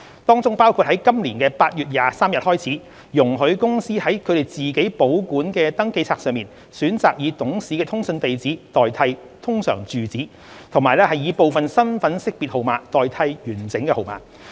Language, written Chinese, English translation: Cantonese, 當中包括於今年8月23日開始，容許公司在它們自行保管的登記冊上選擇以董事的通訊地址代替通常住址，及以部分身份識別號碼代替完整號碼。, From 23 August 2021 companies may replace URAs of directors with their correspondence addresses and replace full IDNs of directors with their partial IDNs on their own registers